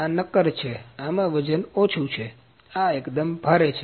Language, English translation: Gujarati, This is lightweight in this is solid; this is quite heavy